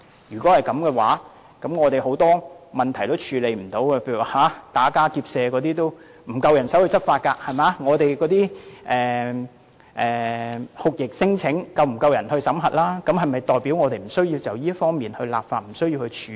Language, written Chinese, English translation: Cantonese, 如果這樣，很多問題都不能夠處理，例如打家劫舍也沒有足夠人手執法，酷刑聲請也沒有足夠人手審核，是否表示我們無須就這方面立法和處理？, If that is the case many issues cannot be dealt with . For example we do not have sufficient manpower to combat robbery and deal with torture claims does it mean that we do not need to enact legislation accordingly and deal with the issues?